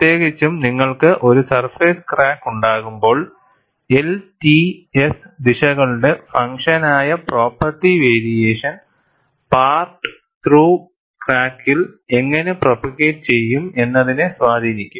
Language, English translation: Malayalam, Particularly, when you have a surface crack, the property variation, which is a function of the L, T and S direction can influence how the part through crack can propagate